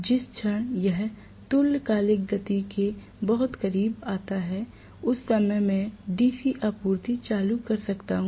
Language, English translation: Hindi, The moment it comes very close to the synchronous speed, at that point I can turn on the DC supply